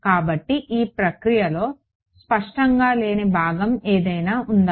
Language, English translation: Telugu, So, is there any part of this procedure which is not clear